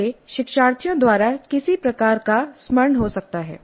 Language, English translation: Hindi, It can be some kind of a recollection by the learners